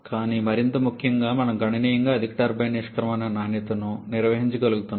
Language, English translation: Telugu, But more importantly we are able to maintain a significantly high turbine exit quality